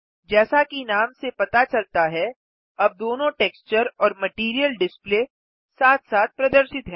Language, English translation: Hindi, As the name suggests, both texture and material displays are visible side by side now